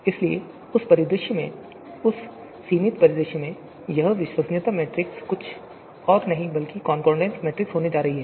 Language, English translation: Hindi, So therefore, the in that scenario, in that limited scenario, corner case scenario, this you know credibility matrix is going to be nothing but the concordance matrix